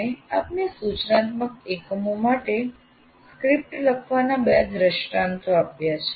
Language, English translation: Gujarati, So, we have given you two samples of what do you call writing a script for an instructional unit